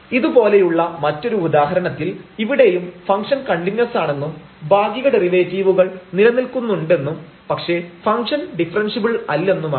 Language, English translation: Malayalam, Another example of similar kind here also we will see that the function is continuous partial derivatives exist, but it is not differentiable